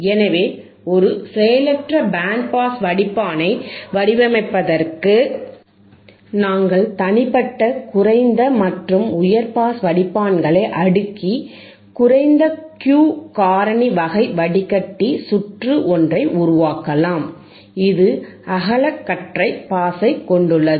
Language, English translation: Tamil, So, the point is for designing a passive band pass filter, passive band pass filter, for which we can cascade the individual low and high pass filters and produces a low Q factor typical type of filter circuit which has a wideband pass, which has a wide pass